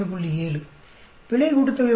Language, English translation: Tamil, 7, error sum of squares comes out to be 28